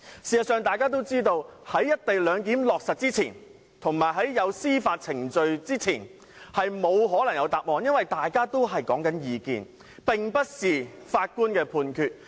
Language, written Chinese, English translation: Cantonese, 事實上，在"一地兩檢"落實之前，以及在有關的司法程序完結之前，是不可能有答案的，因為雙方所說的只是各自的意見，並不是法官的判決。, In fact before the implementation of the co - location arrangement and before the completion of the relevant judicial proceedings there can be no answer to that question because the two sides are just talking about their respective opinions rather than a judges ruling